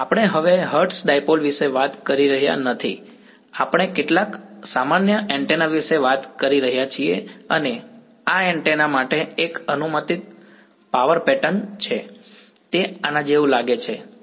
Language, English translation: Gujarati, We are not we are no longer talking about the hertz dipole we are talking about some general antenna and this is a hypothetical power pattern for this antenna, it might look like this right so, this